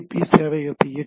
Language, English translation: Tamil, It is running at the server